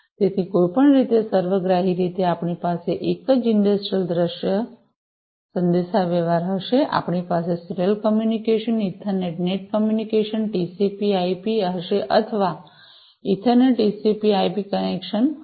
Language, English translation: Gujarati, So, anyway so, holistically we will have in a single industrial scenario industrial communication scenario, we will have serial communication, Ethernet net communication, and TCP/IP, or rather Ethernet TCP/IP connections